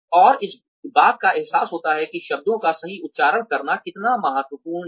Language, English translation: Hindi, And, that point one realizes, how important it is to pronounce words properly